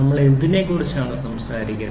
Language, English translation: Malayalam, So, what are these pieces we are talking about